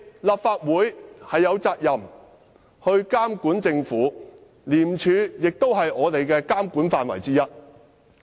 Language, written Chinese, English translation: Cantonese, 立法會有責任監管政府，廉署也在我們的監管範圍以內。, The Legislative Council has the responsibility to monitor the Government and ICAC is within the scope of monitoring